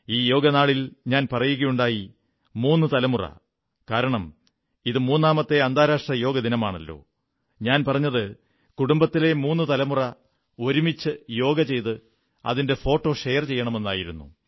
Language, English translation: Malayalam, On this Yoga Day, since this was the third International Day of Yoga, I had asked you to share photos of three generations of the family doing yoga together